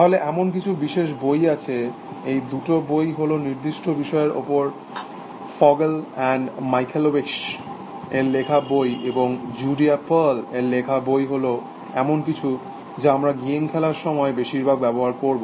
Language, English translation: Bengali, Then there are certain specialized books, so these two books by Fogel and Michalewicz is on certain aspects that we will cover, and this book by Judea pearl is something we will use while game playing essentially